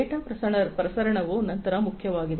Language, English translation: Kannada, Data transmission is then important